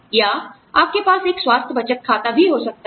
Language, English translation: Hindi, Or, you could also have a health savings account